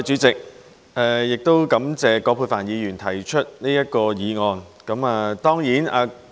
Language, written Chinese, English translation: Cantonese, 主席，感謝葛珮帆議員提出這項議案。, President I am thankful to Ms Elizabeth QUAT for moving this motion